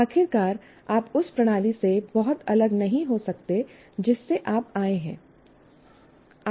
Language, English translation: Hindi, After all, you can't be very much different from the system from which they have come